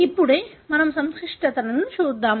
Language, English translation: Telugu, Let us look into the complications